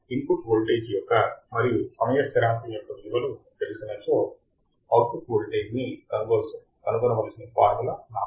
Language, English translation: Telugu, For a given value of input voltage and given value of time constant, if I have to find the output voltage